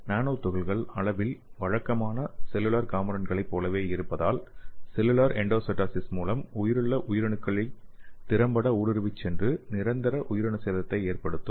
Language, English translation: Tamil, So nano particles are of similar size to typical cellular components and can efficiently intrude the living cells by exploiting the cellular endocytosis machinery and it can result in the permanent cell damage